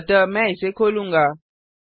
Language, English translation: Hindi, So I will open it